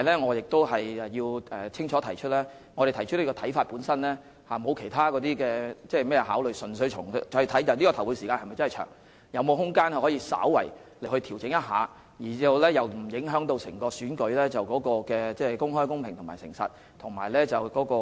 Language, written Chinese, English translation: Cantonese, 我必須清楚指出，我們提出此看法本身並無其他考慮，而是純粹考慮投票時間是否真的偏長，以及是否有空間稍為調整而又不會令選舉無法公開、公平、誠實及有秩序地進行。, I must point out clearly that in forming this opinion we have thought of nothing else but purely considered whether the polling hours are really rather long and whether there is room for slight adjustments without precluding elections from being conducted in an open fair honest and orderly manner